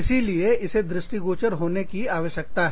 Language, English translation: Hindi, So, that needs to be visible